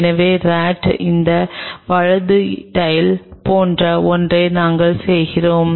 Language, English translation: Tamil, So, we do something like this right tail of the RAT